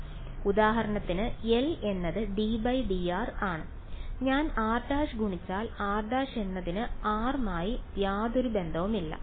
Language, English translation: Malayalam, So, L for example, is you know d by d r, if I multiply r prime r prime has no relation to r right